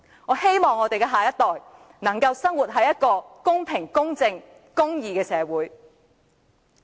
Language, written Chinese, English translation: Cantonese, 我希望下一代能夠生活在一個公平、公正和公義的社會。, I hope that the next generation can live in a fair impartial and just society